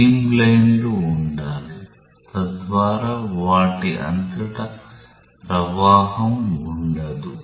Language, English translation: Telugu, There should be streamlines, so that there is no flow across those